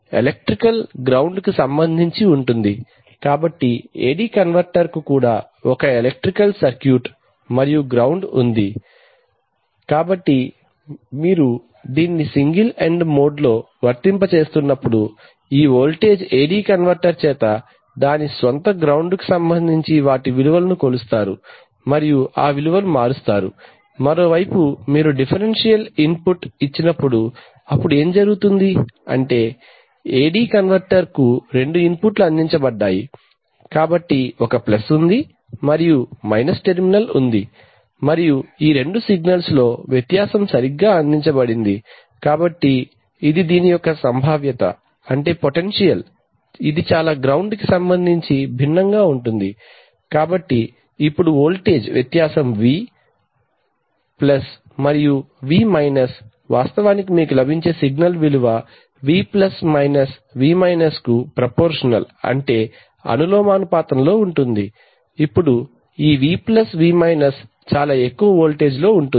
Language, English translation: Telugu, So when you have single ended it means that, this line this value that is going to be the value of the analog voltage is actually with respect to the ground electrical ground of the AD converter, so the AD converter is also an electrical circuit that has a ground, so when you are applying it in a single ended mode this voltage will be measured by the AD converter with respect to its own ground and then convert it that value, on the other hand when you when you give it a differential input then what happens is that there are two inputs provided to the AD converter, so there is a plus and there is a minus terminal and the difference in these two signals are provided right, so this so this the potential of this can be quite different from the ground, so now the voltage difference V Plus and V minus actually the signal value that you will get will be proportional to V plus minus V minus now this v plus v minus can be at pretty high voltages